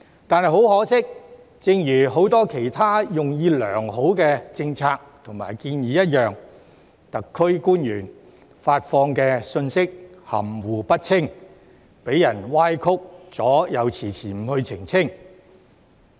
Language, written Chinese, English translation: Cantonese, 但很可惜，正如很多其他用意良好的政策及建議一樣，特區官員發放的信息含糊不清，被人歪曲了又遲遲不去澄清。, But regrettably just like many other well - intentioned policies and proposals the SAR officials have released confusing information and failed to clarify distorted information in the first instance